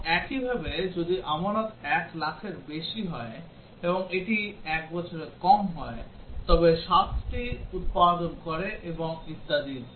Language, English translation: Bengali, And similarly, if deposit is more than 1 lakh and it is less than 1 year, it produces 7 percent and so on